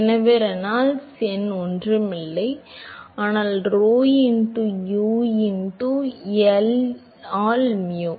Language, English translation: Tamil, So, Reynolds number is nothing, but rho into U into L by mu